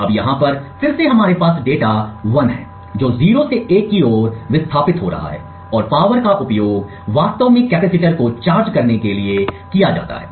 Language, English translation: Hindi, Now over here again we have data 1 moving from 0 to 1 and the power is used to actually charge the capacitor